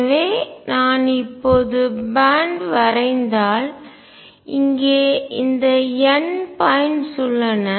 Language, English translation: Tamil, So, if I now plot the band, there are these n points